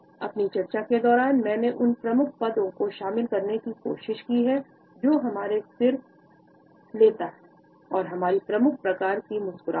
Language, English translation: Hindi, During my discussion, I have tried to incorporate the major positions, which our head takes, the major types of smiles, etcetera